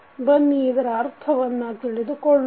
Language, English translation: Kannada, Let us understand what does it mean